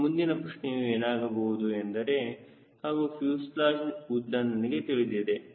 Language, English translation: Kannada, and next question will be: and also, i know what is the fuselage length right